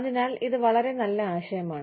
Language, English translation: Malayalam, So, it is a very good idea